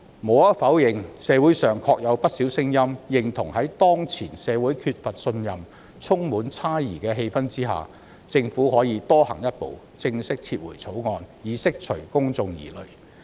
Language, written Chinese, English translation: Cantonese, 無可否認，社會上確有不少聲音，認同在當前社會缺乏信任及充滿猜疑的氣氛下，政府可以多走一步，正式撤回《條例草案》，以釋除公眾疑慮。, Undeniably given that the society lacks trust and suspicion prevails there are indeed plenty of voices in the community urging the Government to take a further step to officially withdraw the Bill so as to dispel doubts